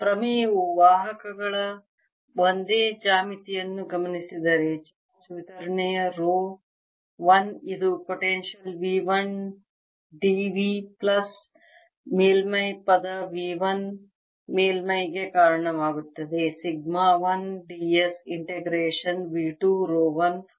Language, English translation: Kannada, charge distribution: the theorem says that, given the same geometry of conductors, a charge distribution row one which gives rise to potential, v one plus system, v one d v plus surface term, v one surface sigma one d s, is same as integration v two, row one r d v plus v two surface sigma one d s